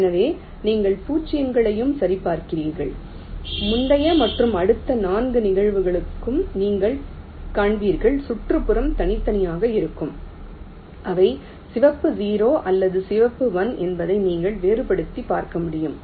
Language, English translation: Tamil, so you check for zeros also, you will find that for all the four cases the previous and the next neighbours will be distinct and you can make a distinction whether they are red, zero or red one